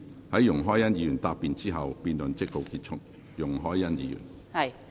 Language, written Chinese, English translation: Cantonese, 在容海恩議員答辯後，辯論即告結束。, The debate will come to a close after Ms YUNG Hoi - yan has replied